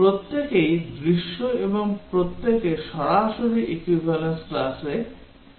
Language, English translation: Bengali, Each one is the scenario and each one will become equivalence class rather straight forward